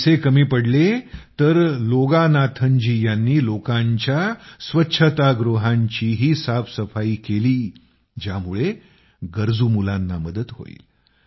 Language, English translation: Marathi, When there was shortage of money, Loganathanji even cleaned toilets so that the needy children could be helped